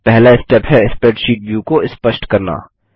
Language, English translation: Hindi, The first step is to make the spreadsheet view visible